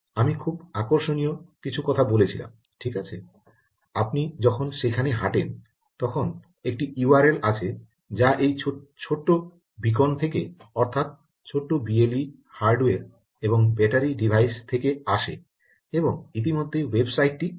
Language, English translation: Bengali, i said something very interesting: right as you walk, there is a u r l that is coming up from this little beacon, the little b l e d hardware plus battery device, and ah, already the website opens